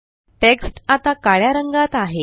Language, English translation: Marathi, The text is now black in color